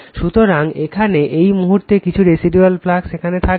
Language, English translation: Bengali, So, here at this point, it will come some residual flux will be there